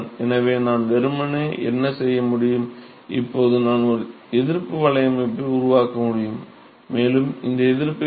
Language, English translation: Tamil, So, what I can simply do is, now I can construct a resistance network, and what is this resistance